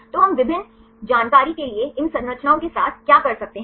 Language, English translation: Hindi, So, what can we do with these structures for the various information you can get